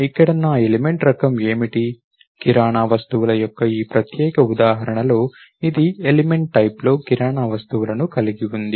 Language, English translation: Telugu, What is my element type here, in this particular example of grocery items, it is element type has grocery items